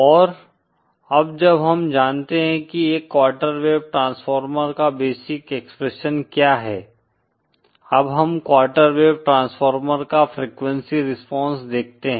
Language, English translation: Hindi, And now that we know what is the basic expression for a quarter wave transformer; let us sees the frequency response of a quarter wave transformer